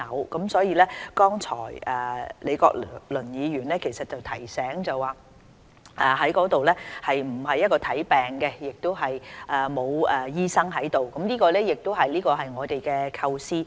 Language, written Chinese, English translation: Cantonese, 剛才李國麟議員亦提醒大家，地區康健中心不會提供診症服務，亦不會有醫生駐診，這正是我們的構思。, Prof Joseph LEE reminded us just now that neither consultation service nor physicians will be available at DHCs and this forms part of our conception